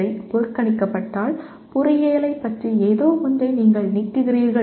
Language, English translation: Tamil, If these are ignored, something about engineering is you are removing